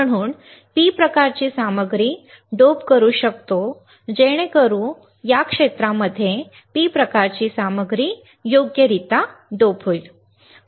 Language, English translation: Marathi, So, that we can dope P type material so that we can dope in this area P type material right